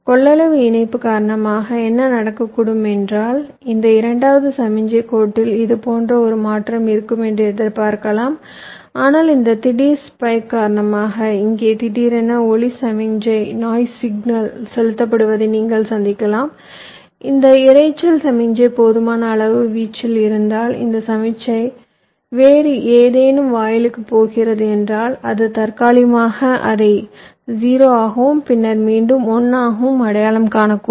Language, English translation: Tamil, so what might happen is that in this signal line, second one, your expectative, have a clean transition like this, but because of this rising, sudden spike here you can encounter a sudden noise signal injected here like this: and if this noise signal is sufficiently high in amplitude and this signal is feeding some other gate, so it might temporarily recognize it as a zero, and then again one like that, so that might lead to a timing error and some error in calculation